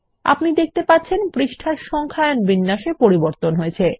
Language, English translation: Bengali, You see that the numbering format changes for the page